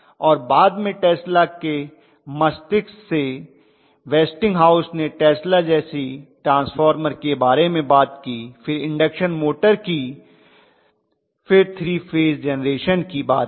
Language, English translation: Hindi, And later on Westinghouse and Tesla with Tesla brain, Westinghouse realized Tesla kind of talked about transformer then he came to induction motor, then he talked about the 3 phase generation